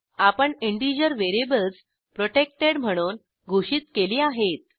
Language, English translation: Marathi, In this we have declared integer variables as as protected